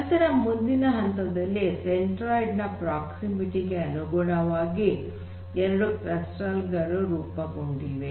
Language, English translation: Kannada, So, what is essentially what has happened is that two clusters are formed based on their proximity to the centroid